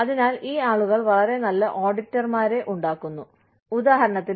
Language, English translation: Malayalam, So, these people make, very good auditors, for example